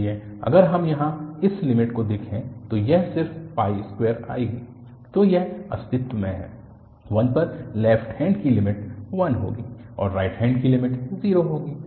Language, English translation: Hindi, So, if we look at this limit here, this will be coming just pi square, so it is this exist, at 1 the left hand limit will be 1 and the right hand limit will be 0